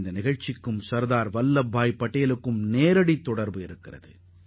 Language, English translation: Tamil, This incident too is directly related to SardarVallabhbhai Patel